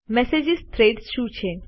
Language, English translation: Gujarati, What are Message Threads